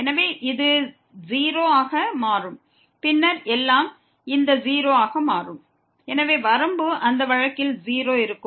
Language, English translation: Tamil, So, this will become 0 and then everything will become this 0, so limit will be 0 in that case also